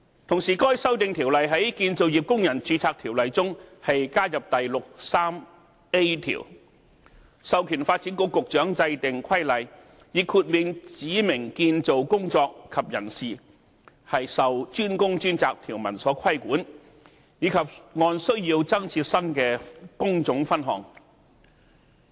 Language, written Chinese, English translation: Cantonese, 同時，該《條例草案》在《條例》中加入第 63A 條，授權發展局局長制定規例，以豁免指明建造工作及人士受"專工專責"條文規管，以及按需要增設新的工種分項。, Meanwhile the Bill added section 63A to CWRO empowering the Secretary for Development to make a regulation to exempt specified construction work and persons from the DWDS requirement as well as create new trade divisions as necessary